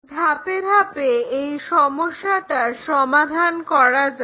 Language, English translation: Bengali, So, let us solve that problem step by step